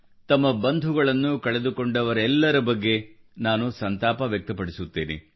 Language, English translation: Kannada, My heart goes out to all the people who've lost their near and dear ones